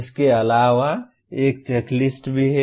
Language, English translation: Hindi, In addition, there is also a checklist